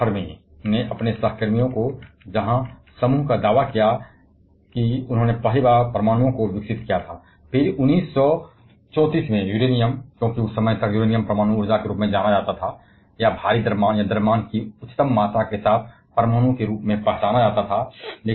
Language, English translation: Hindi, Enrico Fermi there his co workers where the group who first claim to have developed atoms heaver then Uranium in 1934, because, till that time Uranium was the atom known as, or was identified as the atom with the heavier the mass or the highest amount of mass